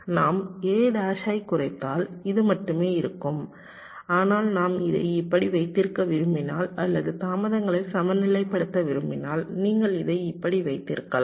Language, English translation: Tamil, if we minimize, this will be only a bar, but if we want to keep it like this, or balancing the delays, you can keep it also like this